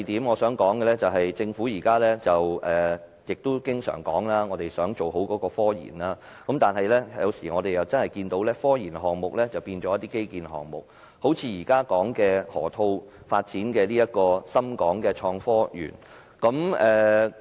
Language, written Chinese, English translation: Cantonese, 我想說的第二點是，政府現時經常提出要做好科研，但我們卻看到科研項目有時候變成了基建項目，例如現時提出在河套地區發展的創科園。, The second point I wish to say is that the Government often talks about the need to properly take forward research and development RD but what we see is that RD projects are sometimes turned into infrastructural projects such as the Innovation and Technology Park now being proposed in the Lok Ma Chau Loop